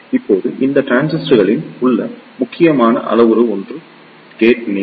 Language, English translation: Tamil, Now, one of the critical parameter in these transistor is the gate length